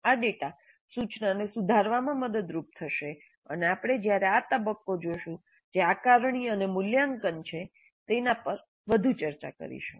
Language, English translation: Gujarati, So this data would be helpful in improving the instruction and we'll discuss this further when we look at the phase C, which is assessment and evaluation